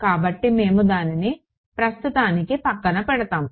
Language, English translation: Telugu, So, we will just put that aside for now